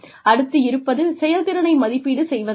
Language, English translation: Tamil, Now, we come to performance appraisal